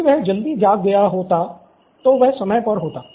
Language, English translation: Hindi, If he had woken up early, he would be on time